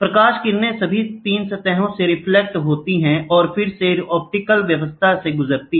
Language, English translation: Hindi, The light rays reflect from all the 3 surfaces, passes through the optical system again